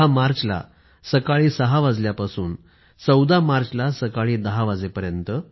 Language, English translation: Marathi, on the 10th of March, till 10 am of the 14th of March